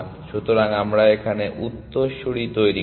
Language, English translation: Bengali, So, we generate successors